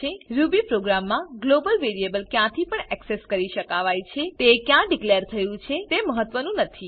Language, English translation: Gujarati, Global variables are accessible from anywhere in the Ruby program regardless of where they are declared